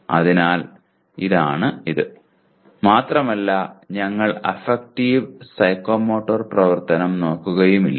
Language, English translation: Malayalam, So this is what it is and we will not be looking at Affective and Psychomotor activity